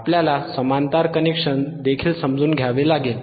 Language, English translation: Marathi, yYou also hasve to understand athe parallel connection